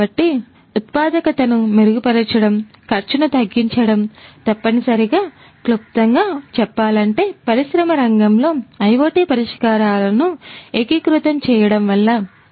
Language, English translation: Telugu, So, improving the productivity, reducing the cost is essentially in a nutshell we can say that are the benefits of integration of IoT solutions in the industry sector